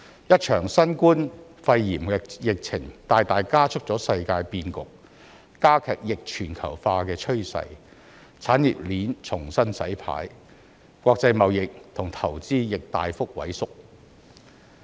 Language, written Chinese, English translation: Cantonese, 一場新冠肺炎疫情大大加速了世界變局，加劇逆全球化的趨勢，產業鏈重新洗牌，國際貿易和投資亦大幅萎縮。, The COVID - 19 pandemic has greatly accelerated the changes in the international landscape and reinforced the trend of deglobalization leading to the restructuring of the industrial chain and a plunge in international trade and investment